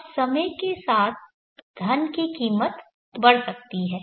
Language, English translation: Hindi, Now with time the value of the money can grow